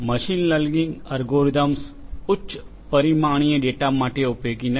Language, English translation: Gujarati, Machine learning algorithms are not useful for high dimensional data